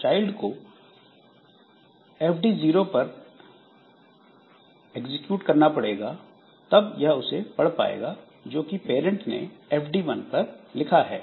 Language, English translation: Hindi, So, when the child executes a read on FD 0, it will get whatever is written by parent in FD1